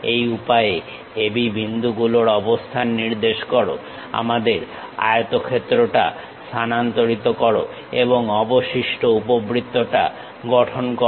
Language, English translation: Bengali, In this way locate AB points transfer our rectangle and construct the remaining ellipse